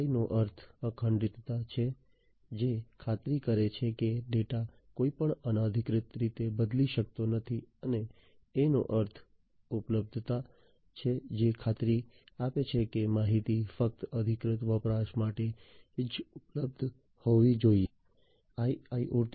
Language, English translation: Gujarati, I stands for integrity which ensures that the data cannot be changed in any unauthorized manner and A stands for availability which guarantees that the information must be available only to the authorized user